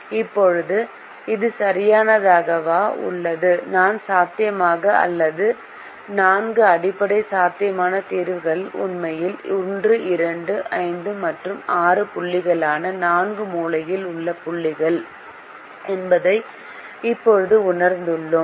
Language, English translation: Tamil, now, this is exactly the same, as we now realize that the four feasible, or four basic feasible solutions are actually the four corner points, which are points one, two, five and six